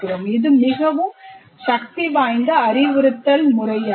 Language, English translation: Tamil, It's a very, very powerful method of instruction